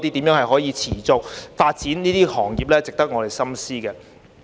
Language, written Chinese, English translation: Cantonese, 如何持續發展這些行業是值得我們深思的。, It is useful for us to ponder how to sustain the development of such industries